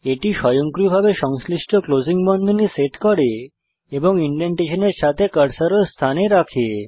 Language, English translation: Bengali, We can see that it automatically sets the corresponding closing braces and also positions the cursor with indentation